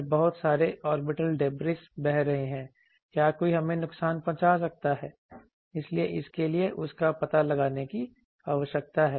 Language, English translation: Hindi, Then orbital debris lot of orbital debris are flowing so can anyone harm us so for that there is a need for detection of that